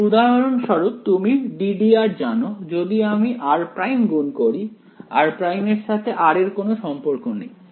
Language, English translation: Bengali, So, L for example, is you know d by d r, if I multiply r prime r prime has no relation to r right